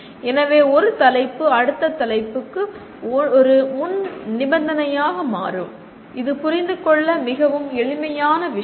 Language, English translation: Tamil, So one topic becomes a prerequisite to the next one which is a fairly simple thing to understand